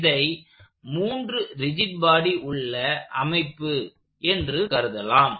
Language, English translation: Tamil, So, you could think of this as a 3 rigid body system